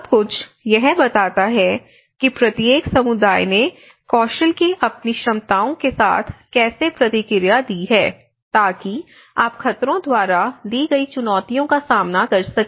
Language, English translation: Hindi, So, that all tells about how each community has responded with their abilities to skills to face you know the challenges given by the hazard